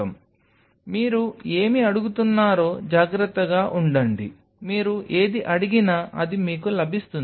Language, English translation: Telugu, So, be careful what you are asking whatever you will ask you will get that